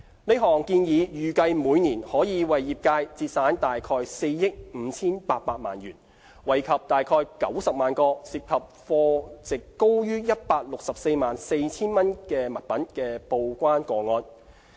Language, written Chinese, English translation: Cantonese, 這項建議預計每年可為業界節省約4億 5,800 萬元，惠及約90萬個涉及貨值高於 1,644,000 元的物品的報關個案。, The proposal is expected to save the trade about 458 million a year and benefit about 900 000 TDEC cases involving goods at a value above 1.644 million